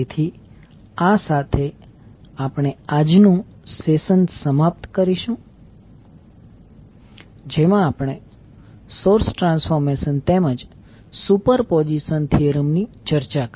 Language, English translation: Gujarati, So with this, we can close our today’s session in which we discussed about the source transformation as well as superposition theorem